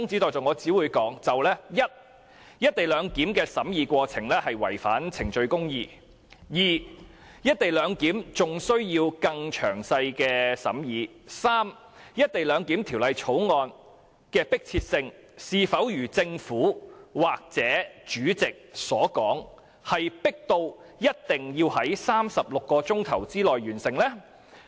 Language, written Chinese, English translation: Cantonese, 第一，"一地兩檢"的審議過程違反程序公義；第二，"一地兩檢"還需更詳細的審議；及第三，《條例草案》是否如政府或主席所說，十分迫切，一定要在36小時內完成審議？, First the deliberation process of the co - location arrangement has violated procedural justice; second the co - location arrangement requires more detailed deliberations; and third is the Bill really so urgent as claimed by the Government or the President that the deliberation must be completed within 36 hours?